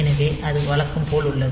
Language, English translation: Tamil, So, that is as usual